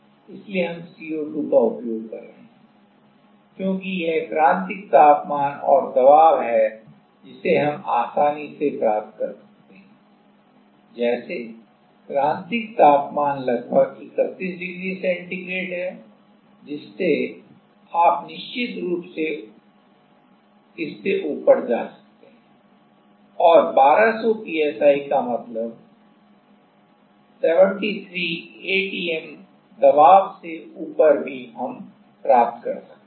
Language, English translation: Hindi, So, we are using as CO2, because it is critical temperature and pressure, we can achieve easily like temperatures critical temperature is 31 degree centigrade you can definitely go above that and 1200 psi means above 73 ATM pressure we can also achieve that